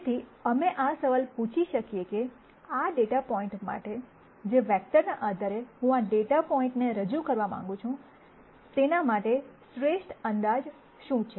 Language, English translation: Gujarati, So, we might ask the question as to what is the best approximation for this data point based on the vectors that I want to represent this data point with